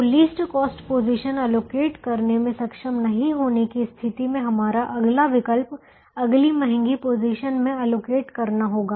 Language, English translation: Hindi, so in the event of not being able to allocate in the least cost position, our next alternative would be to try and allocate in the next costlier position